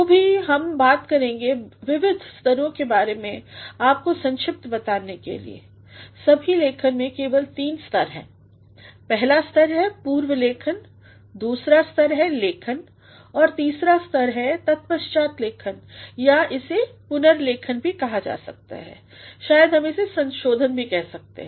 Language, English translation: Hindi, So, we shall be talking about the various stages to tell you briefly, there are in all writings only three stages; the first stage is prewriting, the second stage is writing and the third stage is post writing or we may also call it rewriting maybe we can call it revising as well